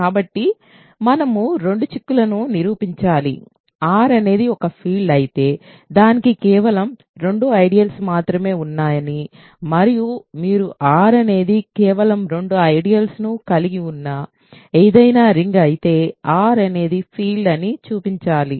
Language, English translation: Telugu, So, we have to prove two implications: if R is a field we have to show that it has only two ideals and if you R is any ring which has only two ideals then R is a field